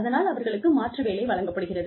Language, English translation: Tamil, They are given an alternative profession